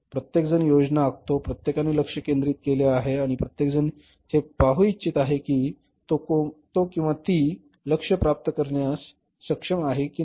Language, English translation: Marathi, Everybody plans, everybody sets the targets and everybody want to see whether the firm he or she has been able to achieve the targets